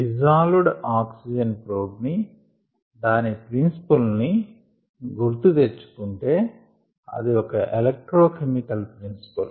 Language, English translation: Telugu, if you recall the dissolved oxygen probe, ah, it's working principle, it's an electro chemical principle